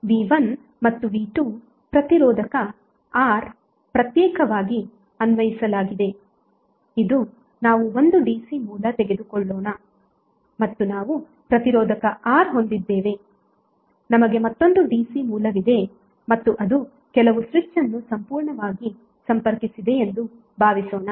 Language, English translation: Kannada, So V1 and V2 we both are applying separately to a resistor R, let us take 1 dc source and we have resistor R, we have another dc source and suppose it is connected thorough some switch